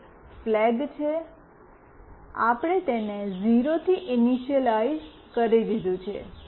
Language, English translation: Gujarati, One is flag, we have initialized it to 0